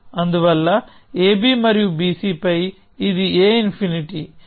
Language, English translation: Telugu, So, on AB and BC; this is a infinity